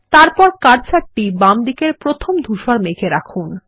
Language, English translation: Bengali, Then place the cursor on the first grey cloud to the left